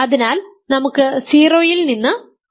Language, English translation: Malayalam, So, let us start with 0